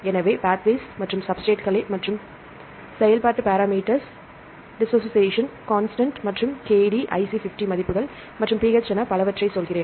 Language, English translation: Tamil, So, I say pathways and substrates and so on and the functional parameters, the dissociation constant and Kd, IC50 values and pH and so on